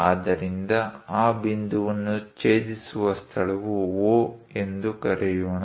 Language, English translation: Kannada, So, the point where it is intersecting dissecting that point let us call O